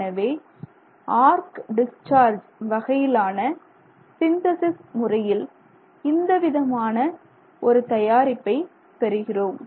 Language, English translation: Tamil, So, if you do the arc discharge based synthesis, this is the kind of product you get